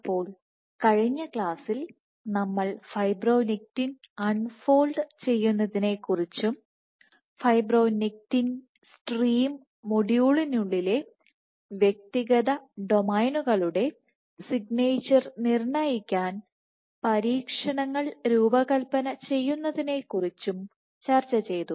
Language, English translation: Malayalam, So, in the last class we had discussed about unfolding of fibronectin and how you can go about designing experiments to determine the unfolding signature of individual domains within fibronectin stream module